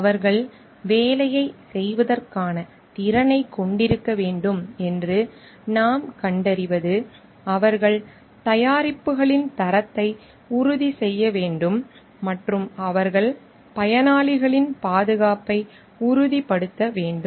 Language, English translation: Tamil, What we find they should have the competence for doing the work, they should be ensuring on the quality of the products and they should be ensuring on the safety of the beneficiaries at large